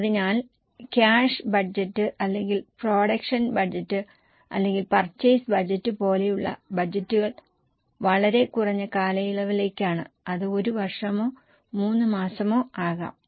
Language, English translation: Malayalam, So, budgets like cash budget or production budget or purchase budgets, they are typically for much shorter period